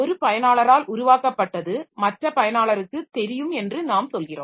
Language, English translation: Tamil, We are telling that something that is created by one user is going to be visible by another user